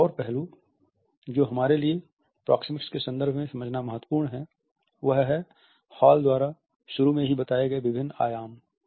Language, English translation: Hindi, Another aspect which is significant for us to understand in the context of proxemics is the different dimensions which initially Hall had talked about